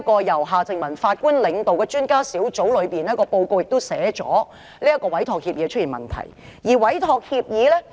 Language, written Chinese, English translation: Cantonese, 由夏正民法官領導的專家小組在報告中也指出，這份委託協議是有問題的。, The expert panel led by Mr Justice HARTMANN has also pointed out in its report that the Entrustment Agreement is problematic